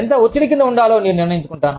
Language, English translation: Telugu, I decide, how much stress, i am under